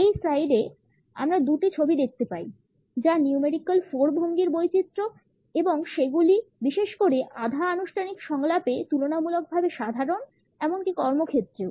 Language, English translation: Bengali, In this slide, we can look at two photographs which are the variations of numerical 4 posture and they are also relatively common particularly in semi formal dialogues; even at the workplace